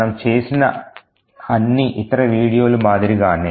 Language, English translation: Telugu, Just like all the other videos that we have done